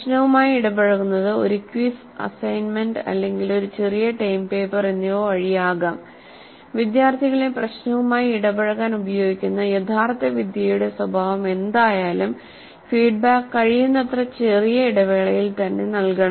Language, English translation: Malayalam, And this engage in the problem could be a quiz, an assignment or a small term paper, whatever be the nature of the actual technique use to have the students engage with the problem, feedback must be provided at as much small interval as possible